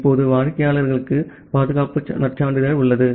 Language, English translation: Tamil, Now, the client has the security credential